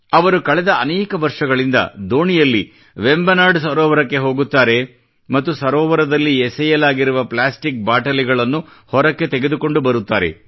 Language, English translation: Kannada, For the past several years he has been going by boat in Vembanad lake and taking out the plastic bottles thrown into the lake